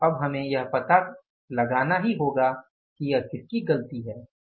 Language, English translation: Hindi, So, now we will have to find out that whose fault is it